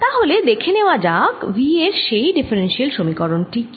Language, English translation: Bengali, so let us see what is that differential equation